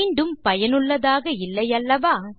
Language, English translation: Tamil, Not very useful, is it